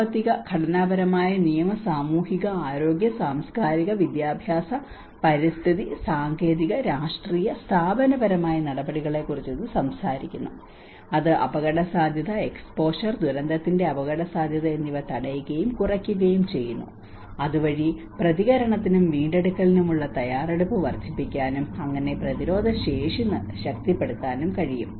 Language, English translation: Malayalam, It talks about the economic, structural, legal, social, health, cultural, educational, environment, technological, political and institutional measures that prevent and reduce hazard, exposure and vulnerability to disaster so that it can increase the preparedness for response and recovery thus strengthening the resilience